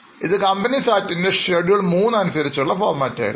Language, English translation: Malayalam, Now this was the format as per Schedule 3 of Companies Act